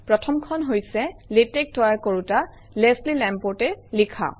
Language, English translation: Assamese, The first one is by the original creator of Latex, Leslie Lamport